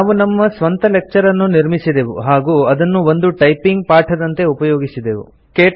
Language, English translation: Kannada, We have created our own lecture and used it as a typing lesson